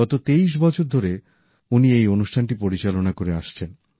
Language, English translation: Bengali, ' He has been presenting it for the last 23 years